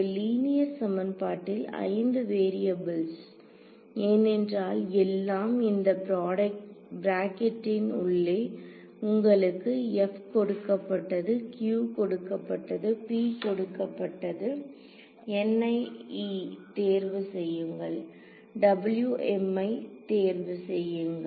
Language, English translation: Tamil, One linear equation in 5 variables because over here is everything inside this bracket known f is given to you, q is given to you p is given to you n 1 I mean N i e you chose W m you chose